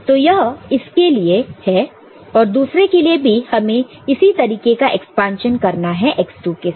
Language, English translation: Hindi, So, this is for this one and for the other one we can have a similar expansion with x2